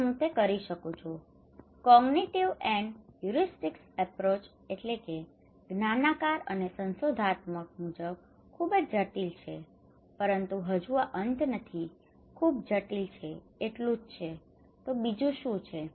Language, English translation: Gujarati, And I can do it, is very critical according to cognitive and heuristic approach but this is not the end, this is not the end yet what else, what else is very critical